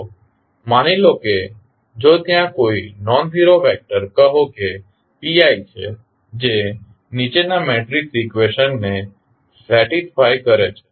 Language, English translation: Gujarati, So, suppose if there is a nonzero vector say p i that satisfy the following matrix equation